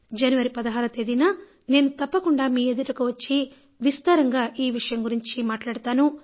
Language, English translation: Telugu, I will definitely interact with you on 16th January and will discuss this in detail